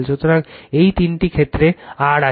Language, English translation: Bengali, So, these three cases is R there right